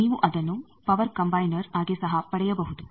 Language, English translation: Kannada, You can also get it as a power combiner